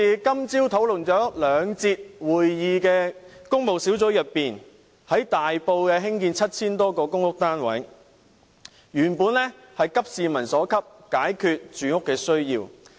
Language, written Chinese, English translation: Cantonese, 今早兩節的工務小組委員會會議討論在大埔興建 7,000 多個公屋單位，原本是急市民所急，解決住屋需要。, The two sessions of the Public Works Subcommittee meeting this morning were supposed to discuss the construction of some 7 000 public housing units in Tai Po . The original intention was to share peoples urgent concern and resolve their housing needs